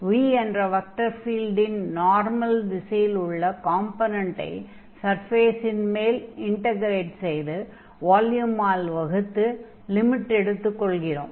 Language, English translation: Tamil, So, v the component of this vector field in the direction of the normal and then we are integrating over the surface and then dividing by the total volume taking the limit